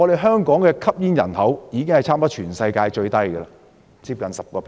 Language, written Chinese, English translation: Cantonese, 香港的吸煙人口幾乎是全世界最低，只接近 10%。, The smoking population of Hong Kong close to 10 % of the total population is among the lowest in the world